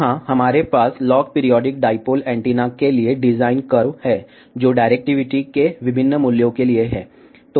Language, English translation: Hindi, Here, we have design curve for log periodic dipole antenna, for various values of directivity